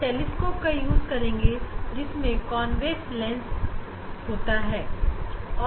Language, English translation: Hindi, we will use telescope have convex lens